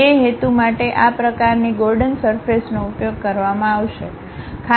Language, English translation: Gujarati, For that purpose these kind of Gordon surfaces will be used